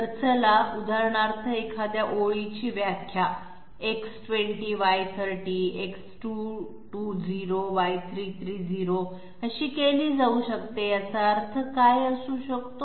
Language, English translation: Marathi, So let us for example, a line might be defined as X20Y30, X220Y330, now what could it possibly mean